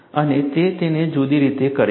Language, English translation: Gujarati, And it does it, in a different way